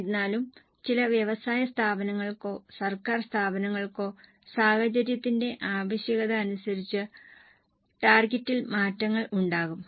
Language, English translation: Malayalam, However, for certain industries or for government organizations, as per the need of the scenario, the targets will change